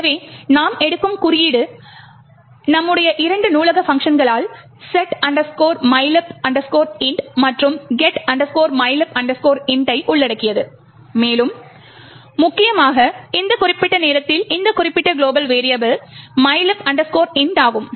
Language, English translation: Tamil, So the code that we will take is as before comprising of our two library functions setmylib int and getmylib int and more importantly at this particular time is this particular global variable mylib int